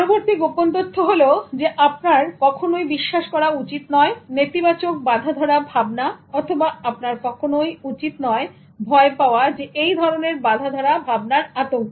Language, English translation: Bengali, The next secret is that you should not believe in negative stereotypes or you should not be vulnerable to stereotype threats